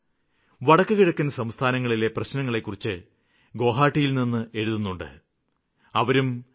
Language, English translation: Malayalam, Bhavesh Deka from Guwahati has written to me on the NorthEast related issues and problems